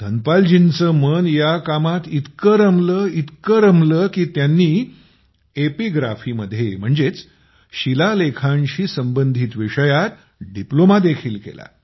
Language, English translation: Marathi, Dhanpal ji's mind was so absorbed in this task that he also did a Diploma in epigraphy i